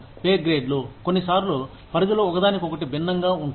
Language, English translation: Telugu, The pay grades are, sometimes, the ranges differ from one another, in various ways